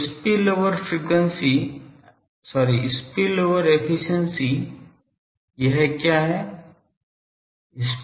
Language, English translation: Hindi, So, spillover efficiency what is it